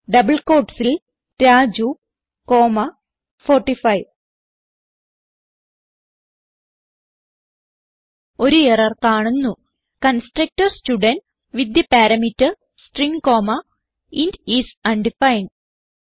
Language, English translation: Malayalam, So in double quotes Raju comma 45 We see an error which states that the constructor student with the parameter String comma int is undefined